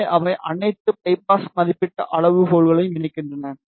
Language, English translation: Tamil, So, they incorporate all the biasing rated criterias